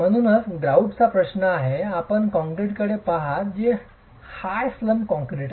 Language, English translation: Marathi, So, as far as the grout is concerned, you are looking at concrete that is high slump concrete